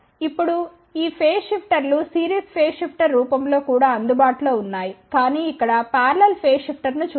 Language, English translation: Telugu, Now, of course these phase shifters are also available in the form of series phase shifter, but let just look at parallel phase shifter here